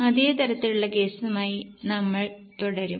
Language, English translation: Malayalam, We will continue with the same type of case